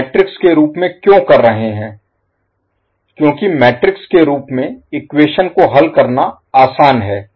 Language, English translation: Hindi, Why we are compiling in metrics form because solving equation in matrix form is easier